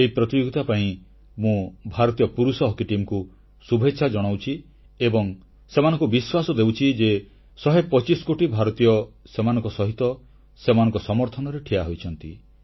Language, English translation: Odia, I convey my best wishes to our Men's Hockey Team for this tournament and assure them that 125 crore Indians are supporting them